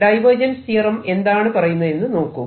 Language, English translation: Malayalam, what does the divergence theorem tell me